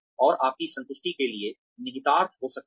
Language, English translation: Hindi, And, that can have implications for your satisfaction